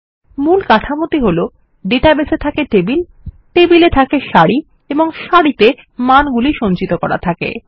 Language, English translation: Bengali, A basic structure is a database which stores tables and tables store rows and rows store values